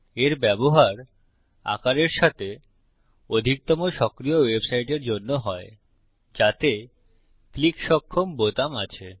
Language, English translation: Bengali, It is used for most of the dynamic website with forms that have click able buttons